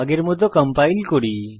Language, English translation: Bengali, Let us compile